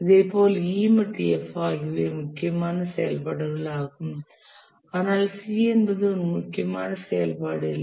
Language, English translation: Tamil, Similarly E and F are also critical activities but C is not